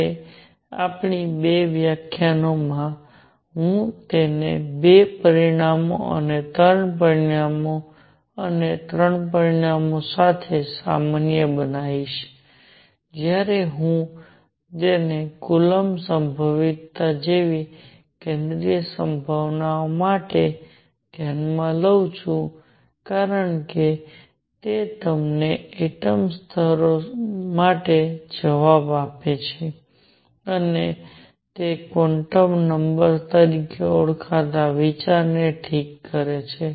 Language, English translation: Gujarati, Now, in the next two lectures, I will generalize it to two dimensions and three dimensions and three dimensions very important when I consider it for a central potential like coulomb potential because it gives you the answer for atomic levels, and it introduces an idea called quantum numbers alright